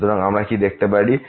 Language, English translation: Bengali, So, what we can also see